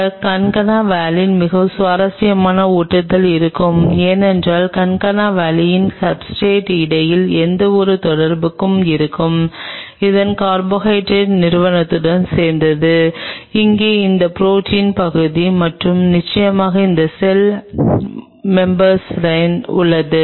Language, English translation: Tamil, There will be a very interesting adhesion with this concana valine because there will be any interactions between the concana valin substrate belong with the carbohydrate entity of it and here is the protein part of it and of course, here is the cell membrane